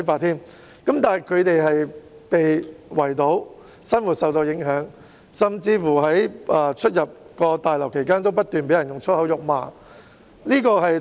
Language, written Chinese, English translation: Cantonese, 然而，他們被圍堵，生活受到影響，甚至在出入大樓時不斷被人以粗言穢語辱罵。, Yet apart from being barricaded with their lives affected they were even scolded with swear words constantly when entering and leaving the building